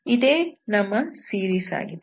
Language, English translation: Kannada, This is what is the series